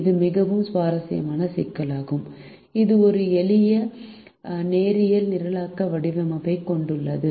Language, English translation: Tamil, this is a very interesting problem that also has a simple linear programming formulation